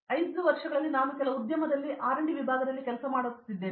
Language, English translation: Kannada, So, in 5 years I see myself working in R&D section in some industry